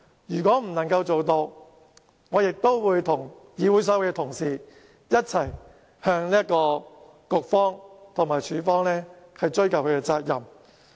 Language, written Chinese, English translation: Cantonese, 如果不能夠做到，我亦會跟議會所有同事，一起向局方和處方追究責任。, If not I will follow all colleagues in the legislature to hold the Bureau and department responsible